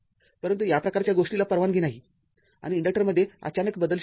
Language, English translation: Marathi, But this kind of thing not allowed right and abrupt change is not possible in the inductor right